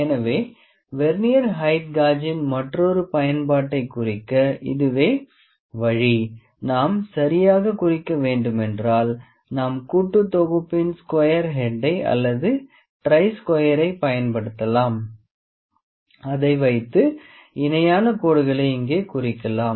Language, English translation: Tamil, So, this is the way to mark another use of Vernier height gauge is if we need to mark properly like we can use square head of the combination set or try square to mark the lines very parallel to these here